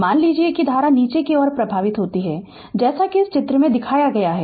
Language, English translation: Hindi, Suppose that current flows downwards as shown in this figure, in this figure right